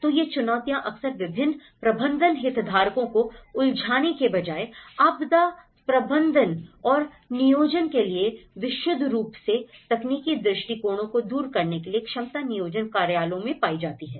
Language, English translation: Hindi, So, these challenges somehow, they seem to lie in the capacity planning offices to overcome the purely technical approaches to the disaster management and planning instead of engaging a very multiple different stakeholders